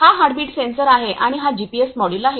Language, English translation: Marathi, This is the heartbeat sensor and this is the GPS module